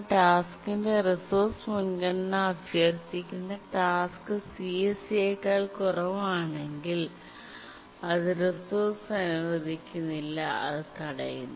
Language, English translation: Malayalam, But if the task requesting the resource priority of the task is less than CSEC, it is not granted the resource and it blocks